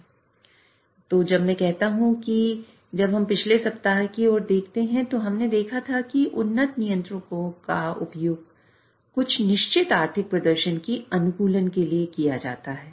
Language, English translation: Hindi, So when you when I say that when we see last section last week we had seen that the advanced controllers are used to optimize a certain economic performance